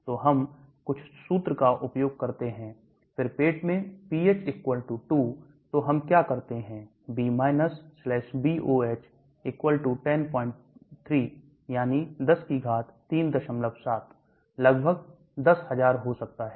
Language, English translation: Hindi, So we use that formula, then in stomach pH = 2, so what do we do B /BOH = 10 3, that is 10 raise to power 3